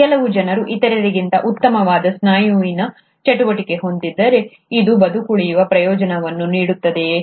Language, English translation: Kannada, Some people have a better muscle activity than the other, does it provide a survival advantage